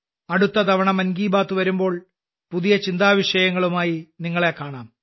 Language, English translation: Malayalam, Next time we will again have 'Mann Ki Baat', shall meet with some new topics